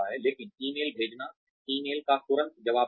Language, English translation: Hindi, But, sending emails, responding to emails promptly